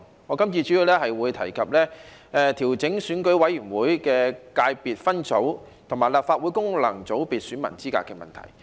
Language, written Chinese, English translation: Cantonese, 我今次主要談論調整選舉委員會的界別分組和立法會功能界別選民資格的問題。, This time I will mainly talk about the adjustments to the eligibility of electors in the subsectors of the Election Committee EC and functional constituencies in the Legislative Council